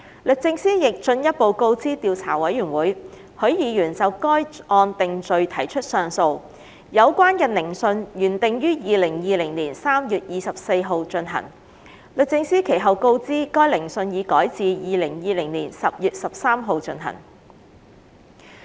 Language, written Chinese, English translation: Cantonese, 律政司亦進一步告知調查委員會，許議員就該案定罪提出上訴，有關的聆訊原定於2020年3月24日進行，律政司其後告知該聆訊已改至2020年10月13日進行。, DoJ further informed the Investigation Committee that Mr HUI lodged an appeal against conviction in that case and the hearing had been scheduled for 24 March 2020 . DoJ later informed that the hearing had been rescheduled for 13 October 2020